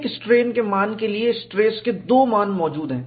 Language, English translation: Hindi, Suppose, I take a strain value, two stress values are possible